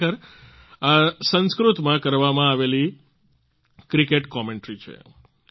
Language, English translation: Gujarati, Actually, this is a cricket commentary being done in Sanskrit